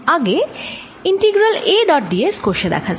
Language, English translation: Bengali, let us first calculate the integral a dot d s